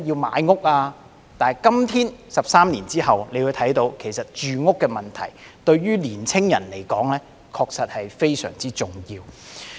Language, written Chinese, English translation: Cantonese, 可是，今天13年後，大家會看到，對於年青人來說，住屋問題確實非常重要。, However today 13 years later we can see that housing is really a very important issue for young people